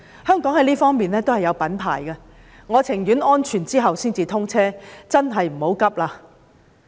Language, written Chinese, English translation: Cantonese, 香港在這方面是有品牌的，我寧願確定安全後才通車，這真的急不來。, Hong Kong has its own brand name in this respect . I would rather that SCL will be commissioned only after its safety has been confirmed . It cannot be rushed indeed